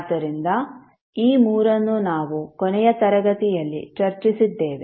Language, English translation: Kannada, So these three we discussed in the last class